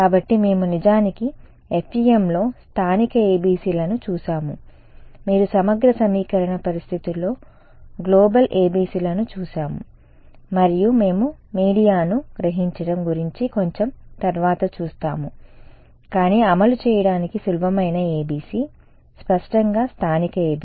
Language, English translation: Telugu, So, we have actually seen local ABCs in FEM, you have seen global ABCs in integral equation methods and we will look at absorbing media little bit later, but the simplest ABC to implement is; obviously, local ABC this guy